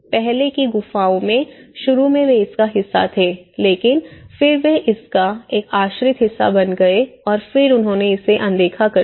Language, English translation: Hindi, In the earlier caves, initially they were part of it but then there has become a dependent part of it and then they ignored it